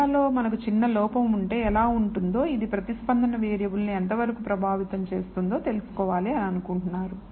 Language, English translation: Telugu, Is there a if we have a small error in the data how well how much it affects the response variable and so on